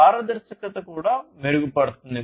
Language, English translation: Telugu, Then we have the transparency